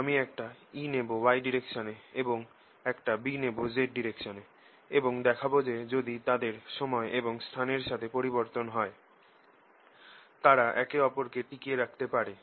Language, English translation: Bengali, so i am going to motivate you by taking e in the y direction and b in the z direction and show you that if they vary with time and space, they can sustain each other